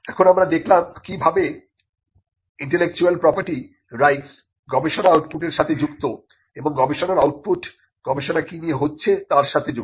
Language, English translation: Bengali, Now, we just saw how intellectual property rights are connected to the research output and how the research output is connected to what gets into research